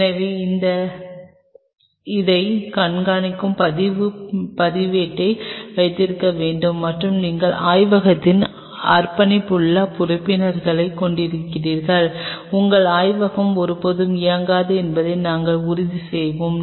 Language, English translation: Tamil, So, you have to have log register keeping track of it and you have dedicated members of the lab, we will ensure that your lab never runs out of it